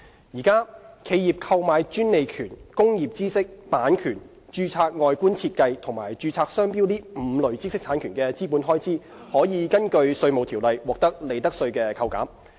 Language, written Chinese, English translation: Cantonese, 現時，企業購買專利權、工業知識、版權、註冊外觀設計和註冊商標5類知識產權的資本開支，可以根據《稅務條例》獲得利得稅扣減。, At present capital expenditure incurred for the purchase of five categories of IPRs ie . patent rights rights to know - how copyright registered designs and registered trade marks is profits tax deductible under the Inland Revenue Ordinance